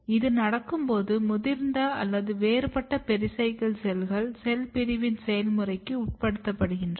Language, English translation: Tamil, And when this happens; what happens that, this mature or differentiated pericycle cells they undergo the process of cell division